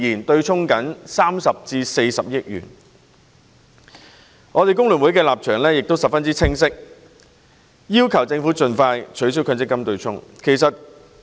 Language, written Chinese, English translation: Cantonese, 工聯會在這個問題上的立場十分清晰，就是要求政府盡快取消強積金對沖機制。, The stance of FTU on this issue is very clear that is the Government should expeditiously abolish the MPF offsetting mechanism